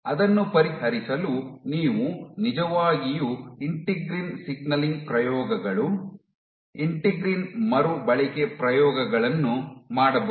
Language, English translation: Kannada, So, to address it you can actually look at you can look at integrin signaling experiments integrin recycling experiments